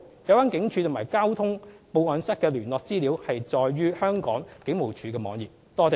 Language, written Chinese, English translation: Cantonese, 有關警署及交通報案室的聯絡資料載於香港警務處的網頁。, The contact information of the relevant police stations and traffic report rooms can be found on the web pages of the Hong Kong Police Force